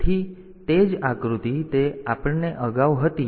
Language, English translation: Gujarati, So, the same diagram that we had previously